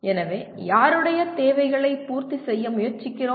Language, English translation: Tamil, So whose requirements are we trying to meet